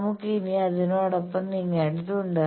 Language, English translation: Malayalam, So, we will have to move along that